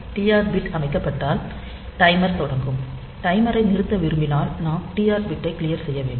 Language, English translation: Tamil, So, you can once you set that TR bit the timer will start, when you want to stop the timer we have to clear the TR bit